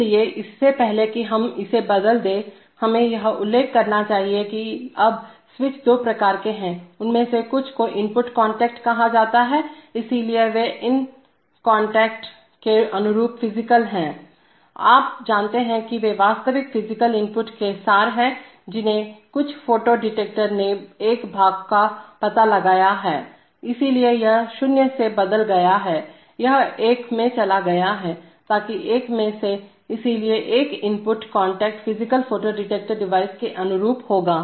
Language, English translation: Hindi, So before we change this, we must mention that there are, now the switches are of two types, some of them are called input contacts, so they are, they correspond to these contacts are physical, you know they are abstractions of real physical inputs like some photo detector has detected a part, so it has changed from 0, it has gone to one, so that one of the, so an input contact will correspond to the physical photo detector device